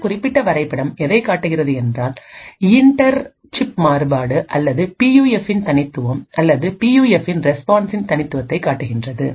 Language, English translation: Tamil, This particular figure shows the inter chip variation or the uniqueness of the PUF or the uniqueness of the PUF response